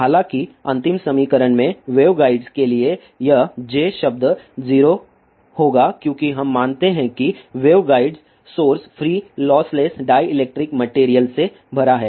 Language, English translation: Hindi, However, for waveguides this J term in the last equation will be 0 as we assume that the wave guide is filled with the source free loss less dielectric material